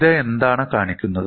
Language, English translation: Malayalam, So, what does this show